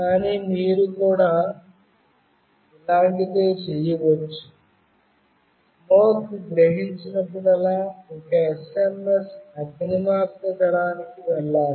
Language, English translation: Telugu, But you can also do something like this; whenever smoke is sensed an SMS should go to the fire brigade